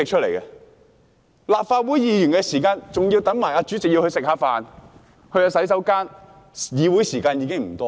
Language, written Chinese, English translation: Cantonese, 立法會會議的時間，還要包括等待主席用膳和上洗手間的時間。, The Legislative Councils meeting time includes the meal break and comfort break for the President